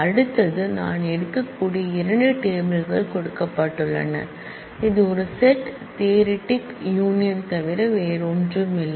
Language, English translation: Tamil, The next one is union given 2 relations I can take a union this is nothing but a set theoretic union